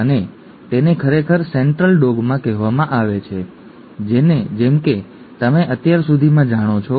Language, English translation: Gujarati, And that is actually called the Central Dogma, as you already know by now